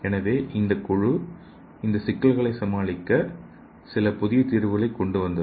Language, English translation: Tamil, So this team came up with some new solutions to overcome these problems